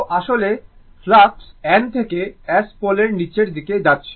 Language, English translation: Bengali, So, flux actually this is N pole and S pole